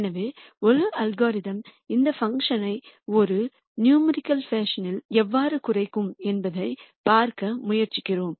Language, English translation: Tamil, So, we are trying to look at how an algorithm would minimize this function in a numerical fashion